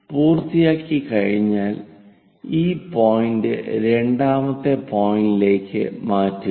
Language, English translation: Malayalam, Once done transfer this point to all the way to second point, the second point here